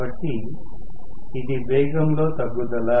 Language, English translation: Telugu, So, this is the drop in the speed